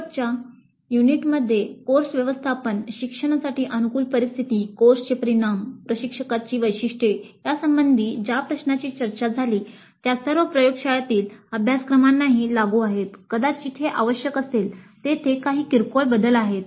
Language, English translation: Marathi, Questions which were discussed in the last unit related to course management, learning environment, course outcomes, instructor characteristics are all applicable to laboratory courses also, perhaps with some minor modifications were required